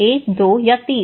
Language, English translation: Hindi, One, two, three